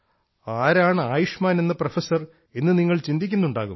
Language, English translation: Malayalam, It is possible that you must be wondering who Professor Ayushman is